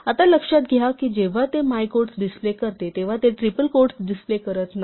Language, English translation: Marathi, Now notice that when it displays my quote, it does not show triple quotes